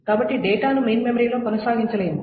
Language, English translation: Telugu, So the data cannot be persistent in main memory